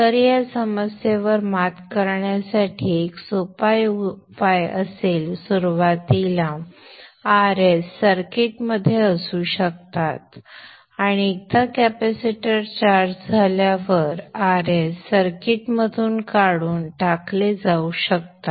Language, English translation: Marathi, So a simple solution to overcome this problem would be initially R S can be the circuit and once the capacitor has built up charge R S can be removed from the circuit